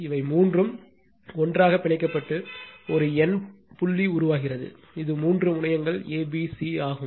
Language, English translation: Tamil, All three are bound together and a numerical point is formed, and this is a, b, c that three terminals right